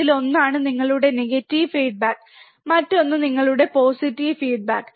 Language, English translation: Malayalam, One is your negative feedback, another one is your positive feedback